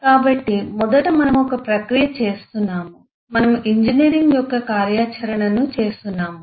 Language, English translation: Telugu, so first, we are doing a process of, we are doing a activity of engineering